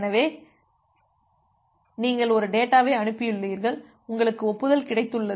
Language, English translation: Tamil, So, you have transmitted a data and you have got an acknowledgement